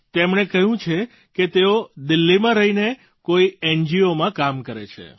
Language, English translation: Gujarati, He says, he stays in Delhi, working for an NGO